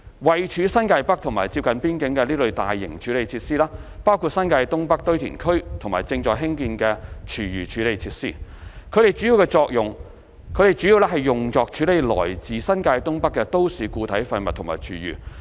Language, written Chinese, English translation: Cantonese, 位處新界北接近邊境的這類大型處理設施包括新界東北堆填區和正在興建的廚餘處理設施，它們主要用作處理來自新界東北的都市固體廢物和廚餘。, Such large - scale treatment facilities situated in NTN near the border include the North East New Territories NENT landfill and the food waste treatment facilities under construction . These facilities are mainly used for processing municipal solid waste and food waste originating from NENT